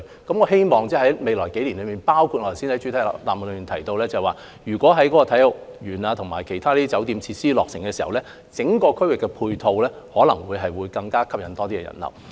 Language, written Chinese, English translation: Cantonese, 我希望未來幾年內，包括我剛才在主體答覆中提到，在啟德體育園和其他酒店設施落成後，整個區域的配套可能會吸引更多人流。, I hope that with the completion of Kai Tak Sports Park and other hotel facilities in a few years as I mentioned in the main reply the ancillary facilities of the whole area will bring more visitor flow